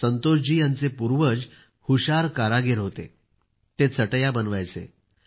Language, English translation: Marathi, Santosh ji's ancestors were craftsmen par excellence ; they used to make mats